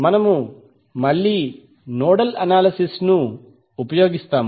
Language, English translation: Telugu, So we will again use the nodal analysis